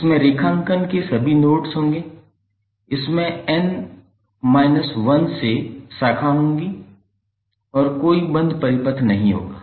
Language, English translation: Hindi, It will contain all nodes of the graphs, it will contain n minus one branches and there will be no closed path